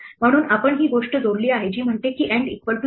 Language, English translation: Marathi, So, we have added this thing which says, end equal to space